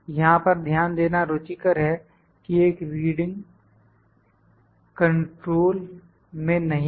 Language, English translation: Hindi, It is interesting to note here that one of the readings is not in control